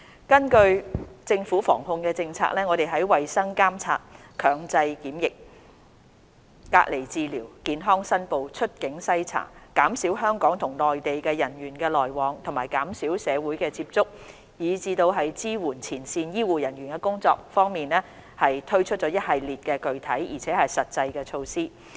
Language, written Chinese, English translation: Cantonese, 根據政府防控策略，我們在衞生監察、強制檢疫、隔離治療、健康申報、出境篩查、減少香港與內地人員往來、減少社會接觸，以及支援前線醫護人員的工作等方面，推出了一系列具體而實際的措施。, According to the Governments prevention and control strategies we introduced a host of specific and practicable measures in the areas of health surveillance compulsory quarantine isolation treatment health declaration exit screening reducing people flow between Hong Kong and the Mainland enhancing social distancing and supporting frontline health care staff etc